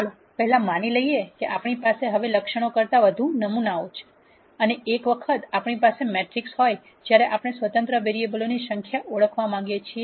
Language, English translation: Gujarati, Let us first assume that we have many more samples than attributes for now and once we have the matrix, when we want to identify the number of independent variables